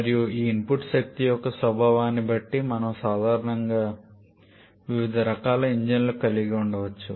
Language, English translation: Telugu, And depending upon the nature of this input energy we generally can have different kinds of engine